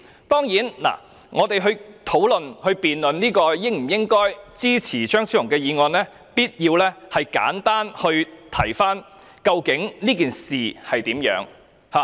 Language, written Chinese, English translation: Cantonese, 當然，在討論、辯論應否支持張超雄議員的議案時，我們必須簡單回顧這件事的原委。, Certainly when discussing or debating whether Dr Fernando CHEUNGs motion warrants support it is necessary to briefly review the facts and circumstances surrounding this case